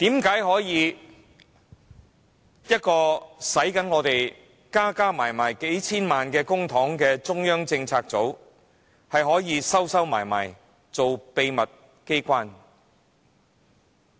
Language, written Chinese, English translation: Cantonese, 為何一個耗用合共數千萬元公帑的中策組，可以躲起來做秘密機關？, How can CPU an organization spending totally several dozen million dollars of public money a year work like a secret agency in hiding?